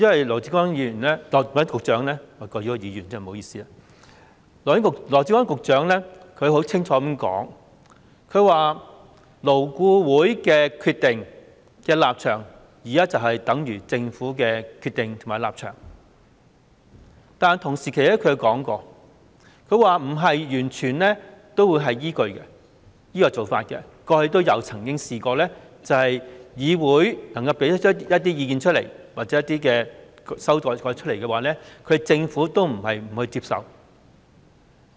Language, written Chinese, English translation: Cantonese, 羅致光議員——不好意思，我稱他議員——羅致光局長清楚表示，勞工顧問委員會的決定和立場，等於政府的決定和立場，但他同時說，政府不是完全依據這做法，過去議會提出的一些意見或修改，政府並非沒有接受。, Dr LAW Chi - kwong―sorry for calling him a Member―Secretary Dr LAW Chi - kwong clearly indicated that the decision and position of the Labour Advisory Board LAB were the decision and position of the Government . But he also said that the Government did not totally follow this practice as the Government did accept certain advice or amendments of the legislature